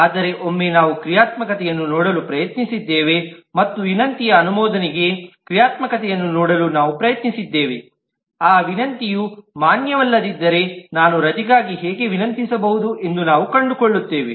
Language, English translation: Kannada, But once we tried to look at the functionality, and we tried to look at the functionality of request approve, then we find that how can I request for a leave unless that request is a valid one